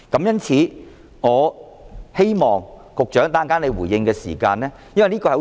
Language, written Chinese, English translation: Cantonese, 因此，我希望局長稍後回應時......, For that reason I hope the Secretary will later respond to my query because this is a very important part